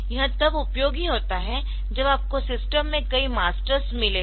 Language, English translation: Hindi, So, this is useful when you have got a number of masters in the system